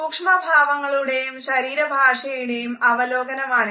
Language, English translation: Malayalam, It is an analysis of micro expressions and body language